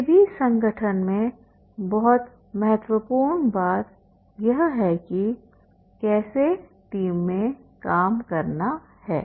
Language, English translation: Hindi, Any organization is a main important thing how to work like a team